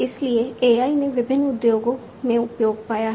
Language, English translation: Hindi, So, AI has found use in different industries